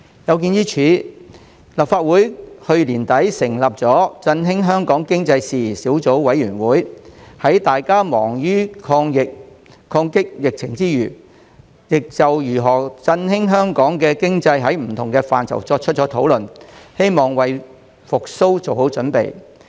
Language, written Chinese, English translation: Cantonese, 有見於此，立法會在去年年底成立振興香港經濟事宜小組委員會，在大家忙於抗擊疫情之際，就如何振興香港經濟作出多方面的討論，希望為經濟復蘇做好準備。, In view of this the Legislative Council set up the Subcommittee on Issues Relating to the Stimulation of Hong Kongs Economy late last year . While everyone was busy fighting the epidemic it conducted discussions on various ways to revitalize the local economy and pave the way for economic recovery